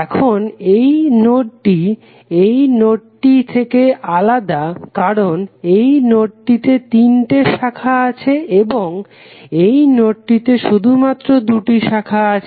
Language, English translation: Bengali, So, now this node is different from this node in the sense that this node contains at least three branches and this node contains only two branches